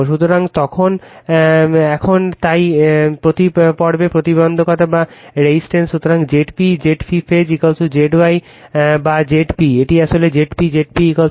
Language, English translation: Bengali, So, now right so, impedance per phase, so Z p Z phase is equal to Z y or Z p, this is Z p actually, Z p is equal to Z delta